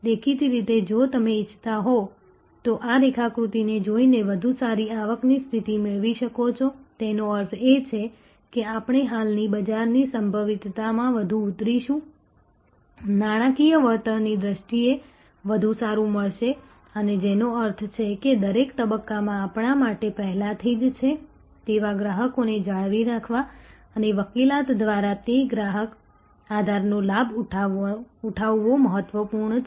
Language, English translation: Gujarati, Obviously, if you want to therefore, have a better revenue position by looking at these diagram; that means, that more we penetrate into the existing market potential, better we will get in terms of financial return and which means, that in each stage it is important for us to have retain the customers we already have and leverage that customer base through advocacy, through referrals to penetrate